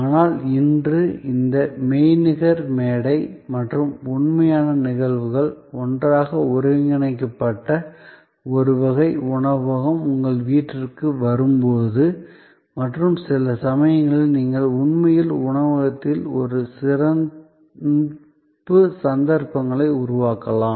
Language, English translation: Tamil, But, today when we have this mix of virtual platform and real occasions, sort of integrated together, where the restaurant comes to your house and sometimes, you may actually create a special occasions in the restaurant